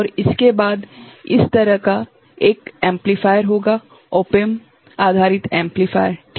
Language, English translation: Hindi, And, after that there will be a amplifier like this, op amp based amplifier, right